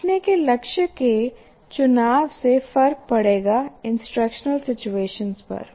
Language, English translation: Hindi, So the choice of learning goal will make a difference to the instructional situation